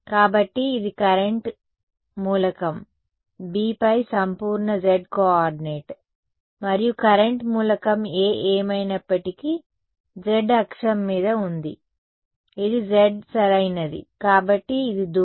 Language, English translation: Telugu, So, this is the absolute z coordinate on current element B and current element A was anyway on the z axis was this was z right, so this is the distance